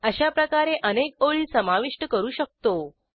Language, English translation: Marathi, In fact, we can enter multiple lines like this